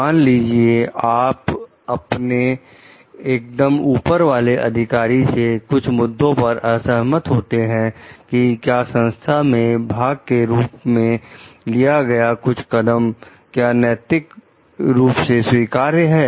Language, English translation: Hindi, Suppose you find yourself disagreeing with your immediate super superior about whether some action on the part of the organization is ethically acceptable